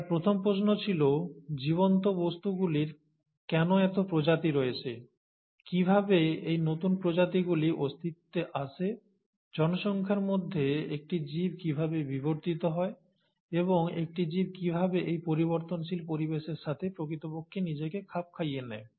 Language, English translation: Bengali, His first question was why there are so many species of living things, how do these new species come into existence, within a population, how does an organism evolve, and how does an organism really adapt itself to the changing environment